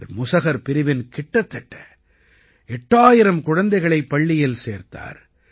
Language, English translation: Tamil, He has enrolled about 8 thousand children of Musahar caste in school